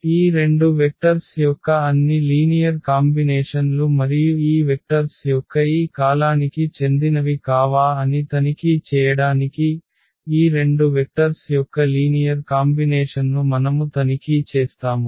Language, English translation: Telugu, All linear combinations of these two vectors and to check whether this belongs to this a span of this these vectors on we will just check whether this vector is a linear combination of these two vectors or not